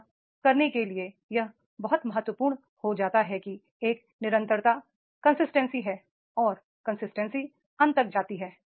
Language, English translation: Hindi, To do that it becomes very very important that there is a consistency and that consistency it goes up to the end